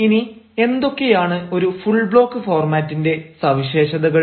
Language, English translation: Malayalam, now what actually are the characteristics of a full block format